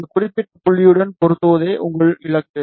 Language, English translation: Tamil, So, your target is to match with this particular point